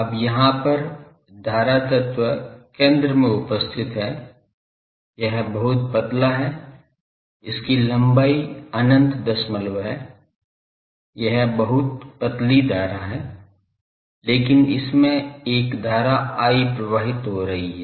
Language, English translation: Hindi, Now, there the let the current element is centered here this is the very thin, its length is infinite decimal, it is a very thin current, but it is carrying a current I